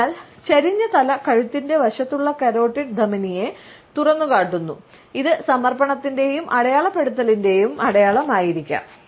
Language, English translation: Malayalam, So, the tilted head exposes the carotid artery on the side of the neck, it may be a sign of submission and feelings of vulnerability